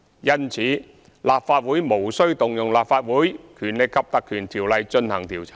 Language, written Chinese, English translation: Cantonese, 因此，立法會無須引用《立法會條例》進行調查。, Hence it is unnecessary for the Legislative Council to invoke the Legislative Council Ordinance to conduct its own inquiry